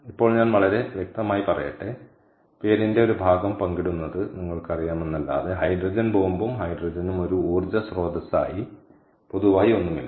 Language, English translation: Malayalam, apart from apart from just, ah, you know, sharing part of the name hydrogen bomb and hydrogen as an energy source has nothing in common